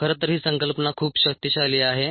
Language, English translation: Marathi, infact, this concept is very powerful ah